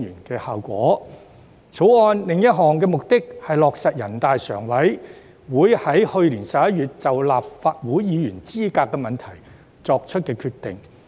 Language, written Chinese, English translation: Cantonese, 《條例草案》的另一目的，是落實人大常委會在去年11月就立法會議員資格問題作出的決定。, Another purpose of the Bill is to implement the decision that NPCSC made on the qualifications of the Members of the Legislative Council in November last year